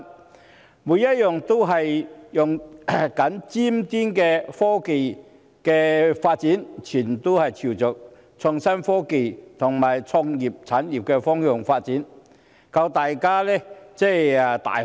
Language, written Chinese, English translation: Cantonese, 它們每一項均在使用尖端的科技，全部均朝着創新科技和創意產業方向發展，令大家眼界大開。, It was an eye - opening experience for us to see the application of cutting - edge technologies in each of them developing towards innovation and technology IT and creative industries . Another example is Dongguan a place that we are familiar with